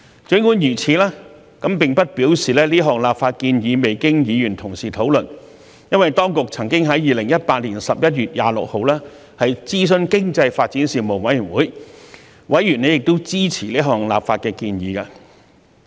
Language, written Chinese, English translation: Cantonese, 儘管如此，並不表示這項立法建議未經議員討論，因為當局曾經在2018年11月26日諮詢經濟發展事務委員會，委員亦支持這項立法建議。, Nonetheless it does not mean that the legislative proposal has not been discussed by Members because the Administration consulted the Panel on Economic Development on 26 November 2018 and Members of the Panel supported the legislative proposal